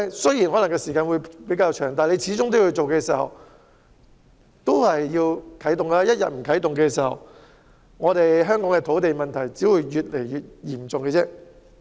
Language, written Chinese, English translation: Cantonese, 雖然需時可能較長，但始終要啟動第一步，否則香港的土地問題只會越來越嚴重。, Although it may take a longer period we must make the first step; otherwise the land problem in Hong Kong will only become more and more serious